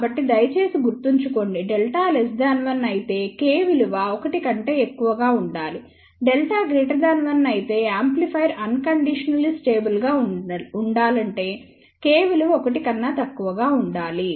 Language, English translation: Telugu, So, please remember, if delta is less than 1, then K should be greater than 1, if delta is greater than 1, then K should be less than 1 for the amplifier to be unconditionally stable